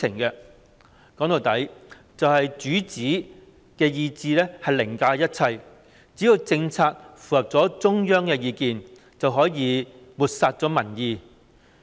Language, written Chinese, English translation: Cantonese, 說到底，就是主子的意志凌駕一切，只要政策符合中央的意見，就可以漠視民意。, In the end it is the will of the master that will override everything . As long as the policy complies with the will of the Central Government public opinion can be ignored